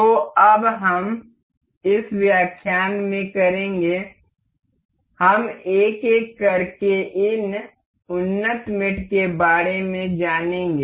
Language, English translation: Hindi, So, now, we will in this lecture, we will go about these advanced mates one by one